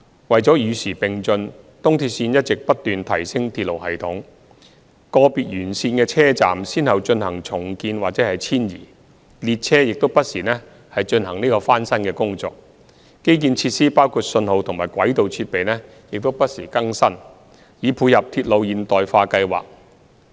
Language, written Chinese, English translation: Cantonese, 為與時並進，東鐵線一直不斷提升鐵路系統，個別沿線的車站先後進行重建或遷移，列車亦不時進行翻新工程，基建設施包括信號及軌道設備等也不時更新，以配合鐵路現代化計劃。, To keep up with the times ERL has been improving its railway system . The stations along the line had undergone redevelopment or relocation and the trains and infrastructural facilities including signalling and track equipment had also been renewed to tie in with the modernization programme